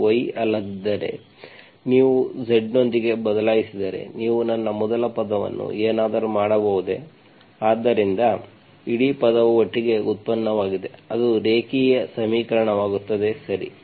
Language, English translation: Kannada, If it is not y, the whole thing if you replace with z, can you make my first term as something so that the whole term together is like derivative, it becomes a linear equation, okay